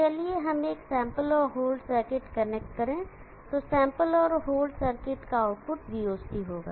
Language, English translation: Hindi, Let us connected to a sample and whole circuit the output of a sample and whole circuit will be VOC